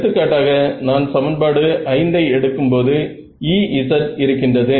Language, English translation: Tamil, So, for example, when I take equation 5 there is E z and there is